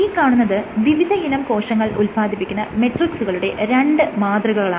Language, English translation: Malayalam, So, these are just two schematics of the matrix secreted by the cells